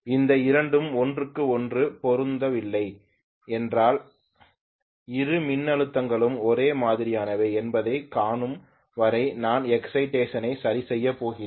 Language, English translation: Tamil, If the two are not matching each other I am going to adjust the excitation until I am able to see that both the voltages are the same